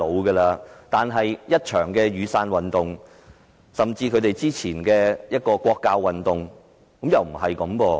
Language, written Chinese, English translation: Cantonese, 可是，雨傘運動甚至之前的國教運動卻顯示情況並不是這樣。, Nonetheless the Umbrella Movement and the anti - national education movement have proved that this is not the case